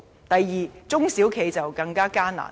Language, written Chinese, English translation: Cantonese, 第二，中小企的經營更加艱難。, Second SMEs are enduring increasingly difficult moments